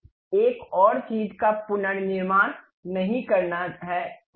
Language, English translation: Hindi, We do not have to reconstruct one more thing